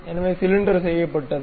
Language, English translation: Tamil, So, cylinder is done